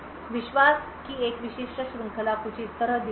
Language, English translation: Hindi, A typical chain of trust looks something like this